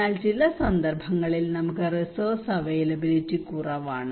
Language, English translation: Malayalam, But some cases right we have less resource availability